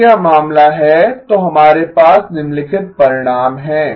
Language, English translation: Hindi, If this is the case, then we have the following result